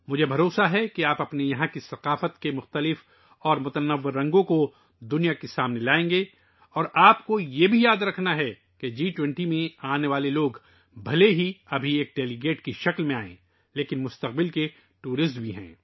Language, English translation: Urdu, I am sure that you will bring the diverse and distinctive colors of your culture to the world and you also have to remember that the people coming to the G20, even if they come now as delegates, are tourists of the future